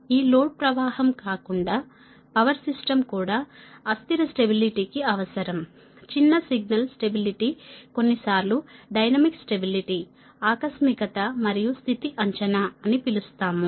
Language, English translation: Telugu, apart from this, this load flow or power flow is also required for transient stability, that small signal stability sometimes will call dynamic stability, contingency and state estimation, right